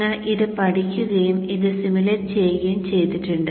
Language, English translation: Malayalam, We have studied this and we have also simulated this